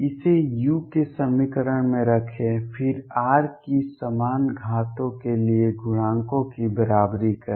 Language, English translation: Hindi, Substitute this in the equation for u, then equate coefficients for the equal powers of r